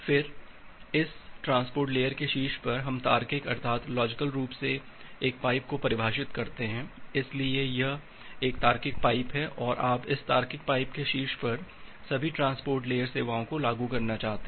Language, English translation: Hindi, Then on top of this transport layer we logically define a pipe, so this is again a logical pipe and you want to implement all the services transport layer services on top of this logical pipe